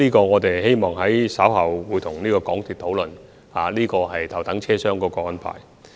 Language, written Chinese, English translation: Cantonese, 我們稍後會與港鐵公司討論頭等車廂的安排。, In due course we will discuss the arrangement on First Class compartment with MTRCL